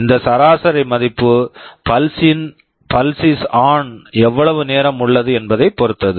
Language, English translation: Tamil, This average value will very much depend on how much time the pulse is on